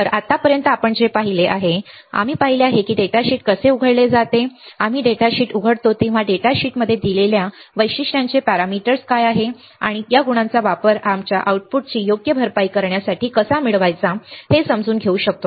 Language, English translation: Marathi, So, what we have seen until now, we have we have seen how the datasheet when we open the datasheet what are the parameters of characteristics given in the data sheet and can we understand how to use these characteristics for our for compensating our output right, for getting our output to be 0 or to make the output null right